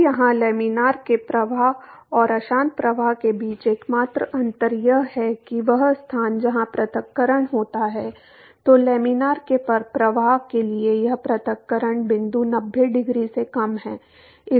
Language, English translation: Hindi, Now, the only different between laminar flow and turbulent flow here is that the location where the separation occurs; so, this separation point for laminar flow is less than ninety degree